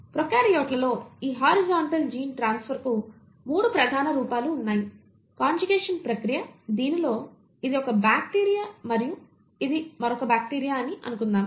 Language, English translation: Telugu, There are 3 major forms of this horizontal gene transfer in prokaryotes; the process of conjugation, wherein let us assume this is one bacteria and this is another bacteria